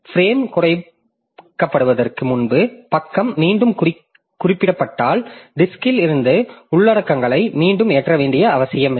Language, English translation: Tamil, So, if page is referenced again before the frame is reused, no need to load contents again from the disk